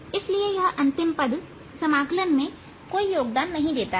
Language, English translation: Hindi, so the last term, this does not contribute to the integral at all